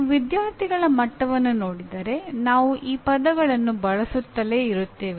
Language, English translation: Kannada, If you look at even at student’s level, we keep using these words